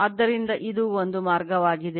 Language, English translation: Kannada, So, this is one way